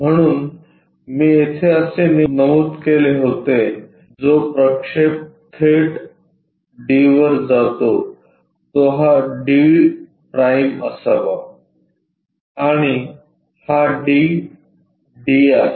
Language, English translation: Marathi, So, as I mentioned point is here project that straight away to a’ D’ this supposed to be D’ and this is d small d